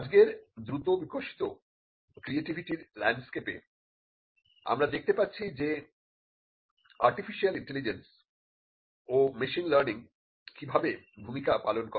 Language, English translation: Bengali, In today’s rapidly evolving landscape of creativity, we can see how artificial intelligence and machine learning plays a role